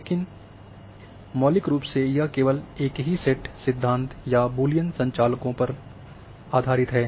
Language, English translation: Hindi, However, the fundamentally it is just based on the same set theory or a Boolean operators